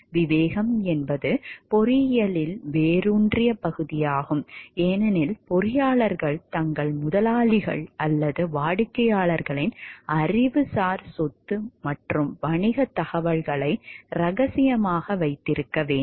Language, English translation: Tamil, Discretion is also an ingrained part in engineering, because engineers are required to keep their employers, or clients’ intellectual property and business information confidential